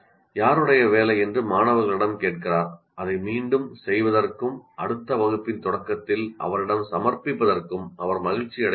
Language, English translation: Tamil, She asked the student whose work she was not happy with to redo it and submit to her at the start of the next class